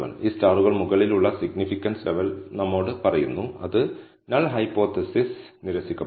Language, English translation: Malayalam, These stars tell us the significance level above, which the null hypothesis will be rejected